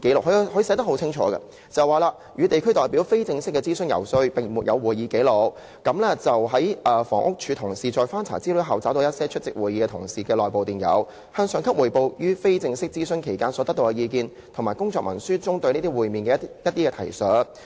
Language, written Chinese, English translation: Cantonese, 局長寫得十分清楚，"與地區代表非正式的諮詢游說並沒有會議紀錄......房屋署同事在翻查資料後，找到一些出席會議的同事的內部電郵，向上級匯報於非正式諮詢期間所得到的意見，以及工作文書中對這些會面的一些提述。, The Secretary clearly stated that there were no records on the informal consultation and lobbying with local representatives colleagues in the Housing Department had after some searches found some internal emails of colleagues who had attended the meetings reporting to their supervisors the views obtained during the informal consultation; they also found some working documents with comments on these meetings